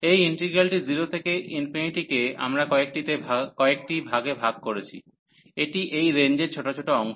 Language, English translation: Bengali, So, this integral 0 to infinity, we have broken into several this is small segments over the range